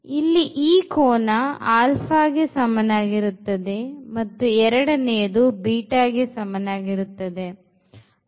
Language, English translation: Kannada, So, this is theta is equal to alpha angle, and 2 theta is equal to beta angle